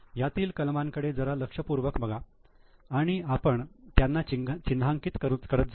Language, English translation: Marathi, Take a look at these items and we will go on marking each item